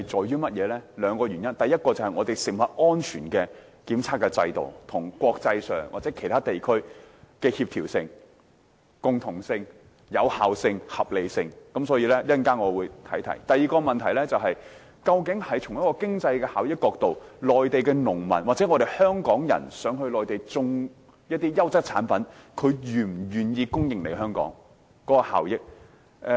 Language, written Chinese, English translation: Cantonese, 有兩個原因：第一，這涉及香港食物安全檢測制度與國際或其他地區的協調性、共同性、有效性及合理性，我稍後會提及；第二個問題，從經濟效益的角度而言，內地農民或到內地種植優質產品的香港人，是否願意給香港供應產品，供港是否具效益。, First this involves the compatibility and commonality of the food safety testing regime of Hong Kong with that of the international community or other regions as well as its effectiveness and reasonableness . I will talk about this shortly . The second concern is that from the perspective of cost - effectiveness whether or not Mainland farmers or Hongkongers growing quality produce in the Mainland are willing to supply their produce to Hong Kong and whether or not it is cost - effective to ship such supplies to Hong Kong